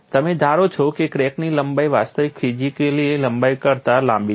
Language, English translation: Gujarati, You consider the crack length is longer than the actual physical length